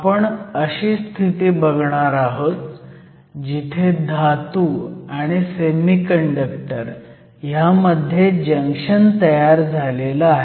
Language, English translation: Marathi, From there, we will form a junction between a Metal and a Semiconductor